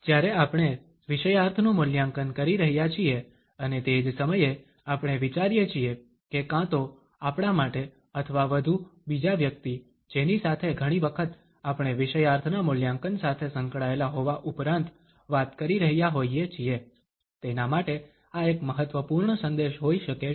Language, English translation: Gujarati, When we are evaluating the content and at the same time, we think that this might be an important message either to us or more to the other person often we are talking to in addition to be associated with the evaluation of content